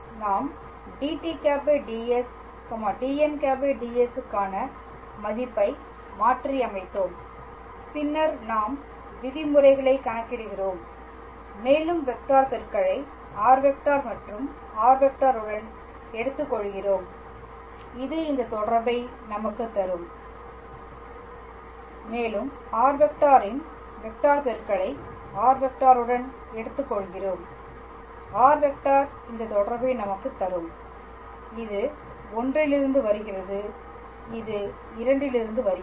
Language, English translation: Tamil, We substituted the value for dt ds dn ds and then we are just calculating the terms and we just take the cross product with r dot and r double dot that will give us this relation and we take the cross product of r dot with r double dot r triple dot that will give us this relation and this comes from I and this comes from II